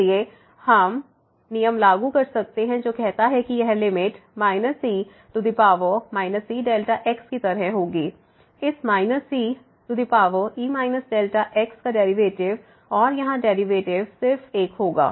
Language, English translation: Hindi, So, we can apply the rule which says that this limit will be like minus power here minus delta , the derivative of this e power minus delta and the derivative here will be just 1